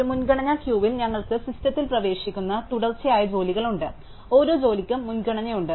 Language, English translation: Malayalam, In a priority queue, we have a sequence of jobs that keeps entering the system, each job has a priority